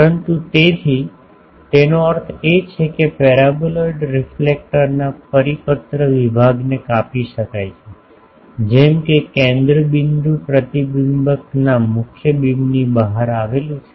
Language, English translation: Gujarati, But so, that means, a circular section of a paraboloidal reflector may be cut out such that the focal point lies outside the main beam of the reflector